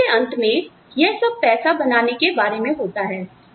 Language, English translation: Hindi, At the end of the day, it is all about making money